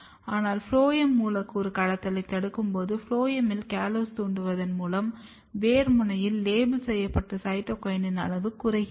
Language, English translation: Tamil, But when you block molecular trafficking through the phloem, by inducing callose in the phloem, what you see that the amount of labelled cytokinin in the root tips are decreased